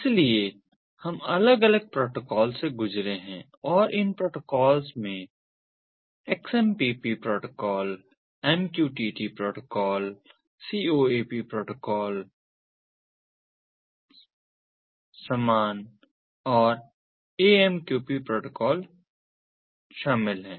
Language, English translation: Hindi, so we have gone through different protocols and these protocols include the xmpp protocol, the mq ah, tt protocol, coap protocol, cope and the a ah, the amqp protocol